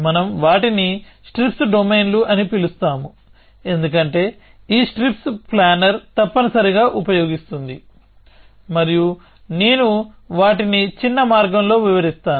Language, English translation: Telugu, We call them strips domains because that is what this strips planner use essentially and I will describe them in a short way